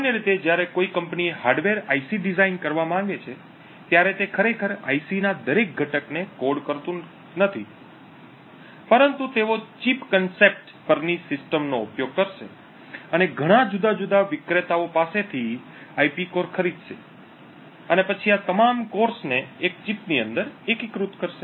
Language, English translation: Gujarati, Typically when a company wants to design a hardware IC, they do not actually code every single component of that IC, but rather they would use a system on chip concept and purchase IP cores from several different vendors and then integrate all of these cores within a single chip